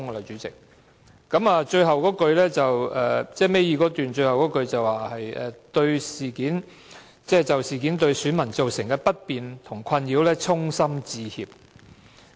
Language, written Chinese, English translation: Cantonese, 主席，倒數第二段最後一句是："我們就事件對選民造成的不便和困擾衷心致歉。, President in the penultimate paragraph of the letter the Administration states We sincerely apologize for the inconvenience and distress to electors caused by the incident